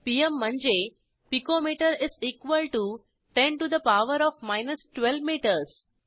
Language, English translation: Marathi, pm is pico metre= 10 to the power of minus 12 metres